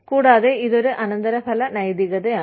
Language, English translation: Malayalam, And, it is a non consequentialist ethic